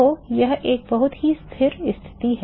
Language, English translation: Hindi, So, that is a very stable situation